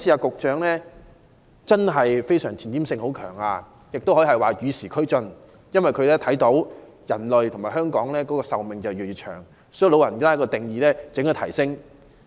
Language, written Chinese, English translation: Cantonese, 局長這次有很強的前瞻性，可以說是與時俱進，因為他看到人類和香港市民的壽命越來越長，所以長者的年齡定義應予提高。, This time around the Secretary is most forward - looking . He is keeping abreast of the times foreseeing that the life expectancy of man and that of the people of Hong Kong will keep increasing and thus considers that the age defining the status of elderly should be raised